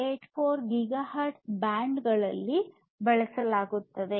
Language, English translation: Kannada, 484 gigahertz band